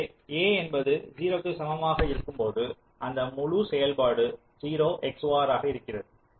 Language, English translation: Tamil, so when a equal to zero, the whole function is zero xor